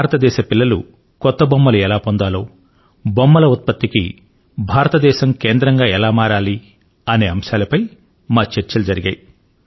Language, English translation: Telugu, We discussed how to make new toys available to the children of India, how India could become a big hub of toy production